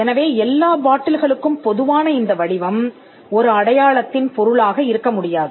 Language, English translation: Tamil, So, this shape which is common to all bottles cannot be the subject matter of a mark